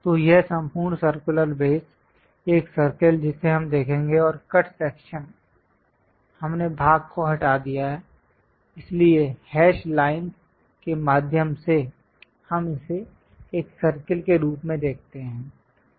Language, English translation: Hindi, So, this entire circular base; one circle we will see and the cut section, we removed the portion, so through hash lines, we see it as circle